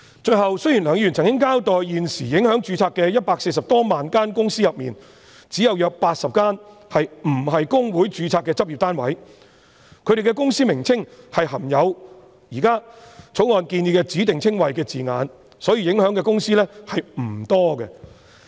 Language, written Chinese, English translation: Cantonese, 最後，雖然梁議員曾經交代在現時140多萬間公司裏，只有約80間不是公會註冊的執業單位，他們的公司名稱含有現時《條例草案》建議的指定稱謂的字眼，所以受影響的公司並不多。, Finally Mr LEUNG explained that at present of the 1.4 million companies only about 80 were practising units not registered with HKICPA and their names consisted of specified descriptions proposed in the Bill thus not many companies would be affected